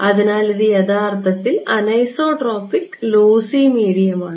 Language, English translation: Malayalam, So, this is actually anisotropic lossy medium right